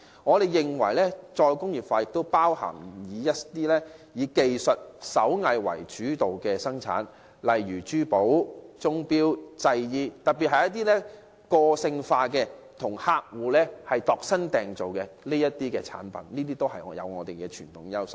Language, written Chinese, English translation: Cantonese, 我們認為，"再工業化"亦涵蓋以技術及手藝為主的生產，例如珠寶、鐘錶及製衣，尤其是一些個性化及替客戶度身訂造的產品，均具備傳統優勢。, In our view re - industrialization also includes production focusing on technology and handicraft such as jewellery watches and clocks and garment . In particular personalized and customized products are where our traditional strengths lie